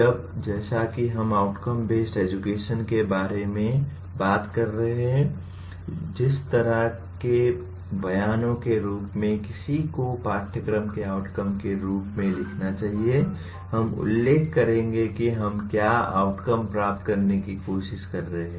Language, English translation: Hindi, Now as we are talking about outcome based education without talking about the kind of statements that one should write as course outcomes, we will mention what the outcomes we are trying to attain